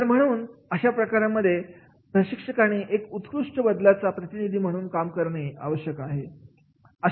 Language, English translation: Marathi, So, therefore in that case the trainer is required to be a good change agent